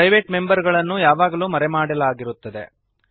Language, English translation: Kannada, private members are always hidden